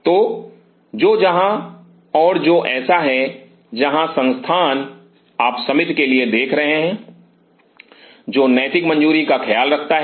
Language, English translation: Hindi, So, which wherever and which So, where institute you are look for the committee which takes care of the ethical clearance